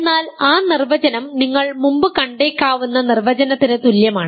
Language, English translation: Malayalam, But that definition is equivalent to this is something that you may have seen before